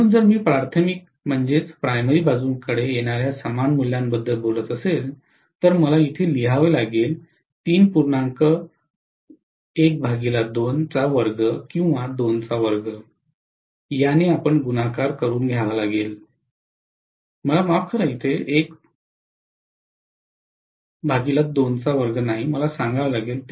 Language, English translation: Marathi, So if I am talking about a similar value coming on the primary side, I have to write this as 3 multiplied by 1 by 2 square, am I right